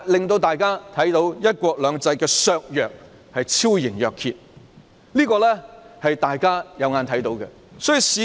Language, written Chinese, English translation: Cantonese, 大家看到"一國兩制"的削弱已是昭然若揭，這情況大家有目共睹。, As we can see the weakening of one country two systems is evident . It is there for all to see